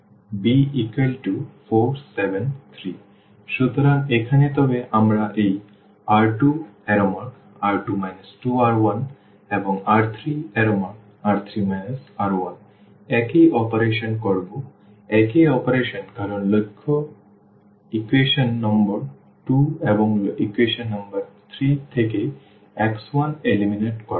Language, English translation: Bengali, So, here, but we will be doing the same operations this R 2 minus this 2R 1 and R 3 minus this R 1, the same operation because the aim is to eliminate x 1 from equation number 2 and equation number 3